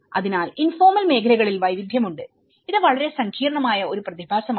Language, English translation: Malayalam, So, there are a variety of informal sectors, it’s a very complex phenomenon